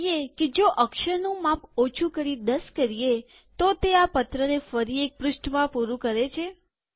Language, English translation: Gujarati, Let us see if the font size is reduced to 10, we can bring the letter back to one page